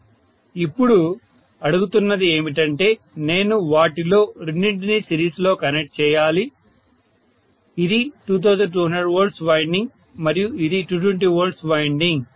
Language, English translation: Telugu, Now what is being asked is, I have to connect two of them in series, this is the 2200 V winding and that is the 220 V winding, I am applying 2200 V here, so this is 2